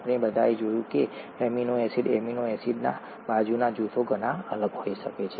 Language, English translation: Gujarati, We all saw that the amino acid, the side groups of the amino acids could be so different